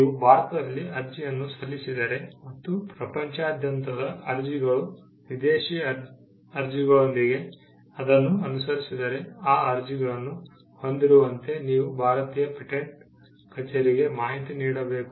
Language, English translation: Kannada, If you had filed an application in India and followed it up with applications around the world, foreign applications, then you need to keep the Indian patent office informed, as to, the possession of those applications